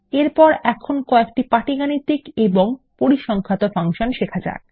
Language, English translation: Bengali, Next, lets learn a few arithmetic and statistic functions